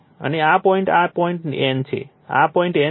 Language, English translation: Gujarati, And this point this point is your N right, this point is your N